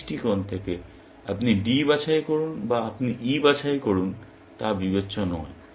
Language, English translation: Bengali, From that point of view, it does not matter whether, you pick D or whether, you pick E